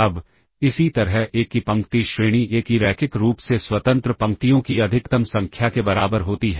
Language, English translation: Hindi, Now, similarly the row rank of A equals the maximum number of linearly independent rows of A